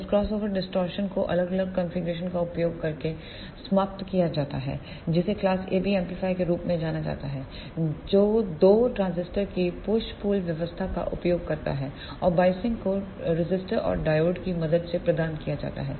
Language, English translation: Hindi, This crossover distortion are eliminated by using the different configuration that is known as the class AB amplifier which makes use of the push pull arrangement of two transistors and the biasing is provided with the help of the resistor and the diode